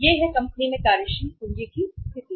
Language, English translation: Hindi, This is the working capital position in the company